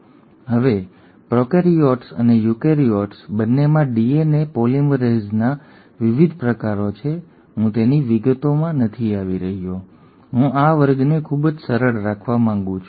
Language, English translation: Gujarati, Now there are different types of DNA polymerases both in prokaryotes and eukaryotes, I am not getting into details of those, I want to keep this class very simple